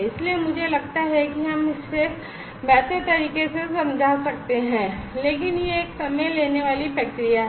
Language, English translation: Hindi, So, I think we can explain it better, but it is a time consuming process